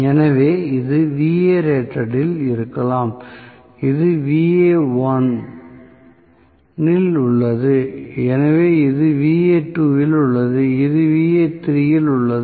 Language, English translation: Tamil, So, may be this is at Va rated, this is at Va1, this is at Va2, this is at Va3